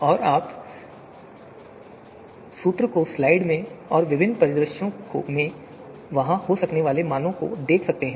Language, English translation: Hindi, And you can see the formula in the slide and in different scenarios and the values that could be there